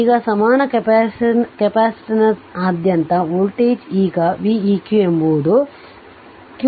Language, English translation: Kannada, Now the voltage across the equivalence capacitance is now v eq will be q eq upon C eq